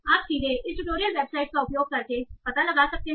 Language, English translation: Hindi, So you can directly find out by using this tutorial website